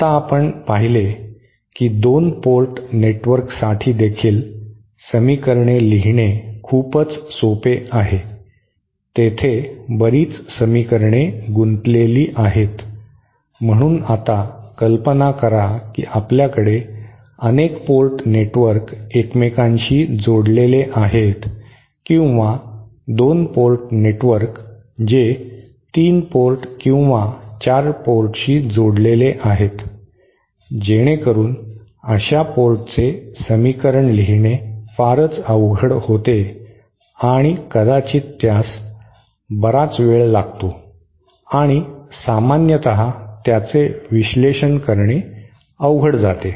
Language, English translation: Marathi, Now as we saw writing down the equations for even a 2 port network is quite involved, there are lots of equations involved so now imagine if we have a number of 2 port networks connected with each other or 2 port network connected with higher number of with a device which has at the say 3 port or 4 port so then keeping on writing such equations becomes very complicated and it might take a lot time and its difficult to analyze generally